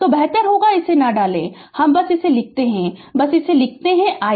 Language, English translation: Hindi, So, better you do not put it I simply write your I simply write it I right